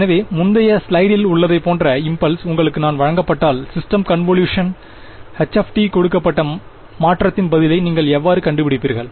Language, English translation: Tamil, So, if I if you are given the impulse response like in the previous slide how do you find the response of the system convolution right given h t convolved with the input get the ok